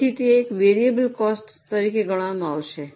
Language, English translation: Gujarati, that is called as a variable cost